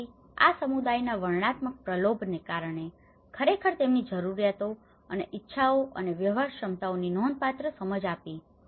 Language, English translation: Gujarati, So, this has been the descriptive lure of a community have actually given a significant understanding of their needs and wants and the feasibilities